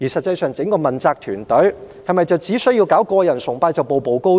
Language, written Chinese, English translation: Cantonese, 整個問責團隊是否只需要搞個人崇拜便可以步步高升？, Is it that members of the accountability team will be promoted by pursuing personality cult?